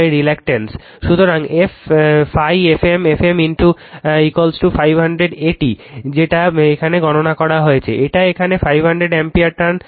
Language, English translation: Bengali, So, phi f m f m is equal to your 500 ampere turns that you have calculated here it is, 500 ampere turns